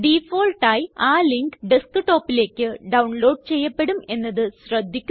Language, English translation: Malayalam, You notice that by default the link would be downloaded to Desktop